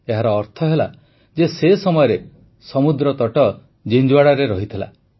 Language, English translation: Odia, That means, earlier the coastline was up to Jinjhuwada